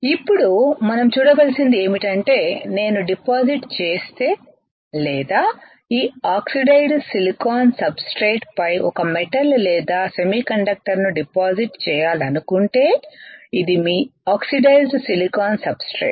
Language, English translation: Telugu, Now, what we have to see is if I deposit or if I want to deposit a metal or a semiconductor on this oxidized silicon substrate this is what is your oxidized silicon substratet